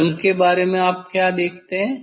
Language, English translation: Hindi, what about colour you will see